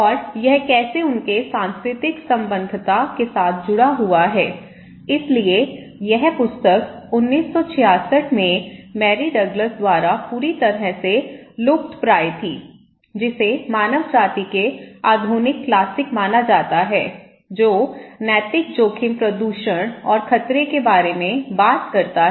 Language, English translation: Hindi, And how, this is connected with their cultural affiliation okay, so that was the book purely endangered by Mary Douglas in 1966 considered to be a modern classic of anthropology, talking about the moral risk pollution and danger okay